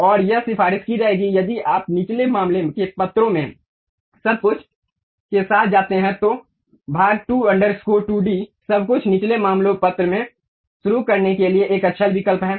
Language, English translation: Hindi, And it would be recommended if you go with everything in lower case letters, part2 underscore 2d everything in lower case letter is a good choice to begin with